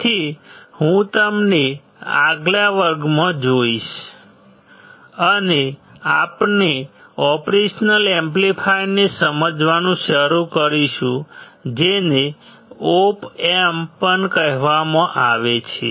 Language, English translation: Gujarati, So, I will see you in the next class, and we will start understanding the operational amplifiers, which is also call the Op Amps